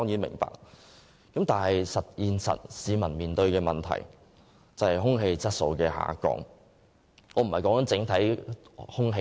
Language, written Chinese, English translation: Cantonese, 不過，現實卻是市民面對的問題是空氣質素每況愈下。, But the reality is that people are facing the problem of deteriorating air quality